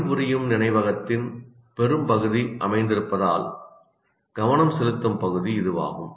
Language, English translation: Tamil, It is also the area where focus occurs because most of the working memory is located here